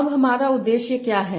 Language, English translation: Hindi, Now what is my objective